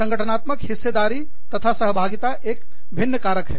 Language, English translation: Hindi, The organizational participation and involvement is another factor